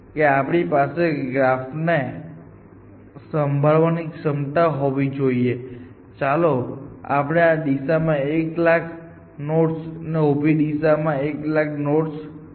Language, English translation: Gujarati, We should be able to handle such graphs which have, let us say hundred thousand nodes in this direction and hundred thousand nodes in the vertical direction